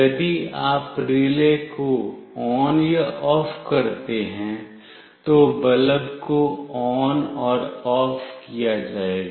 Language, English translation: Hindi, If you make relay ON or OFF, the bulb will be made ON and OFF